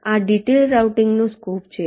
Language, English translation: Gujarati, this is the scope of detailed routing